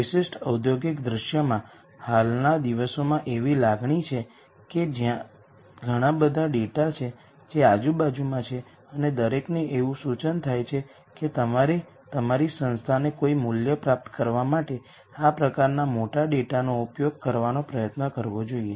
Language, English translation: Gujarati, In a typical industrial scenario now a days there is a feeling that there is lots of data that is around and everyone seems to suggest that you should be able to use this kind of big data to derive some value to your organization